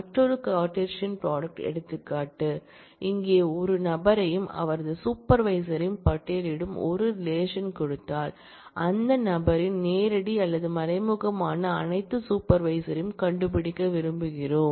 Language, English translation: Tamil, Is another Cartesian product example, here given a relation which lists a person and his or her supervisor, we want to find out all supervisors direct or indirect of that person